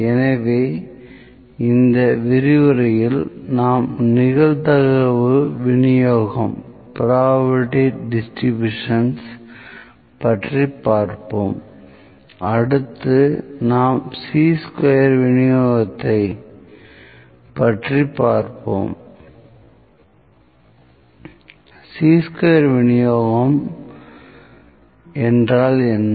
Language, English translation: Tamil, So, this lecture, we will continue the probability distributions, next I will move forward to Chi square distribution